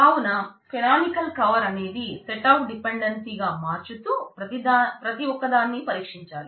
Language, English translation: Telugu, So, your canonical cover turns out to be this set of dependencies and then you go over and for each one of them